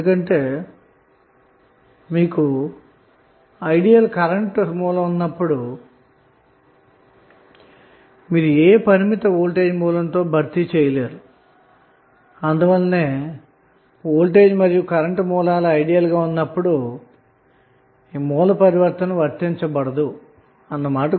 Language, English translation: Telugu, Why, because when you have ideal current source you cannot replace with any finite voltage source so, that is why, it is not applicable when the voltage and current sources are ideal